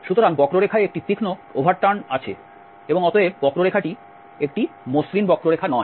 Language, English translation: Bengali, So, there is a sharp over turn in the curve and therefore, this curve is not a smooth curve